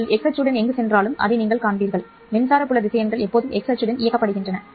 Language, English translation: Tamil, And no matter where you go along the x axis, you will see that the electric field vectors are directed always along x axis